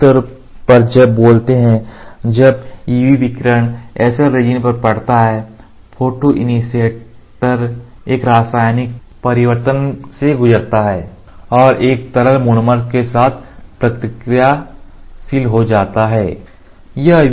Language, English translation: Hindi, Broadly speaking when UV radiation impinges on SL resin the photoinitiator undergo a chemical transformation and becomes reactive with a liquid monomer